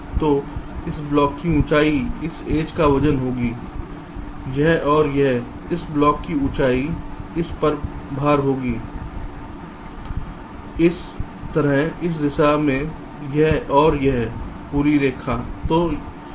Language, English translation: Hindi, so the height of this block will be the weight of this edge, this and this, the height of the, this block will be the weight of this